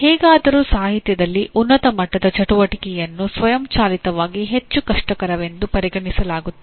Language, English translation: Kannada, Somehow in the literature higher level activity is considered automatically more difficult which is not true